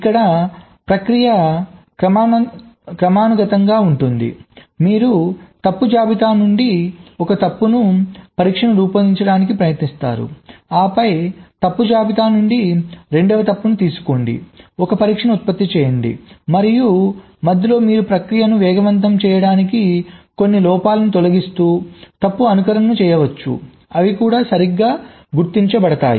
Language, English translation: Telugu, here the process is sequential: you take one fault from the fault list, try to generate a test, then take the seven fault from the fault list, generate a test, and so on, and in between you can carry out fault simulation to speed up the process by removing some of the faults which are also getting detected right